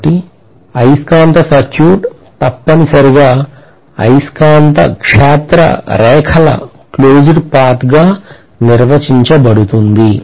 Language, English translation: Telugu, So magnetic circuit is essentially defined as the closed path followed by the magnetic field lines